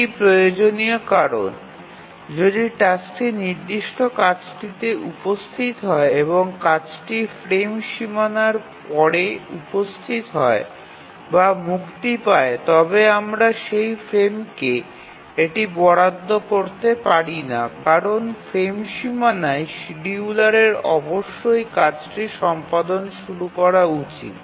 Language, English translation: Bengali, To think of it why this is necessary is that if the task arrives the job the task instance or the job arrives or is released after the frame boundary then we cannot assign that to that frame because at the frame boundary the scheduler must initiate the execution of the job